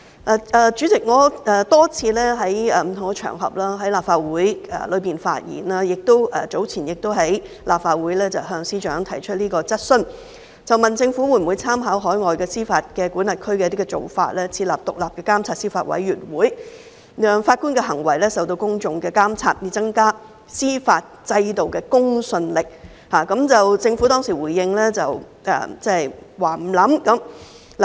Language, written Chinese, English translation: Cantonese, 代理主席，我多次在不同場合和立法會發言，早前亦曾在立法會向司長提出質詢，問政府會否參考海外司法管轄區的做法，設立獨立監察司法委員會，讓法官的行為受到公眾監察，以增加司法制度的公信力，政府當時回應是不會考慮。, Deputy President I have spoken quite a number of times on different occasions and in the Legislative Council . Earlier on I have also raised a question to the Chief Secretary in the Council asking whether the Government would consider drawing reference from the practices in overseas jurisdictions and setting up an independent judiciary monitoring committee to subject the conduct of judges to public scrutiny so as to enhance the credibility of the judicial system . At that time the Government responded that it would not give such consideration